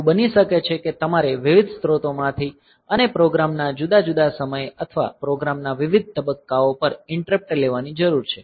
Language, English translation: Gujarati, So, it may so happen that you need to take interrupt from different sources and at different times of program or different phases of program